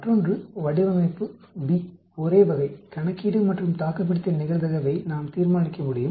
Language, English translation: Tamil, The other one, the design B same type of calculation and we can determine the survival probability